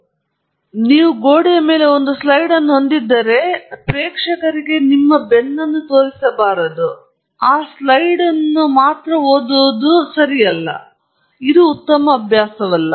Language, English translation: Kannada, So, if you have a slide up on the wall, you should not be showing your back to the audience and only reading that slide; that’s not a good practice